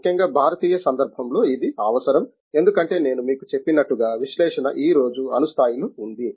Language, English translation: Telugu, That is necessary thing especially in the Indian context because as I told you, analysis has to be at the atomic level today